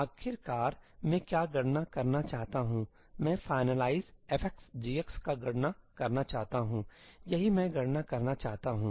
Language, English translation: Hindi, What I want to finally compute is, I want to compute ëfinalize f of x g of xí; that is what I want to compute